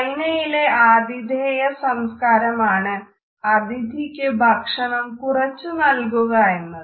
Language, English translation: Malayalam, In Chinese culture its common for the hostess at the dinner party to serve to guests less food